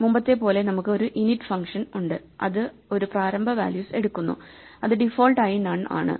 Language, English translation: Malayalam, So, as before we have an init function which takes an initial values which is by default none